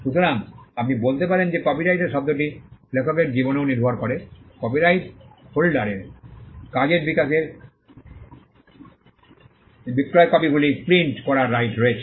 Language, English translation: Bengali, So, you can say that the term of the copyright is also dependent on the life of the author, the copyright holder has the right to print publish sell copies of the work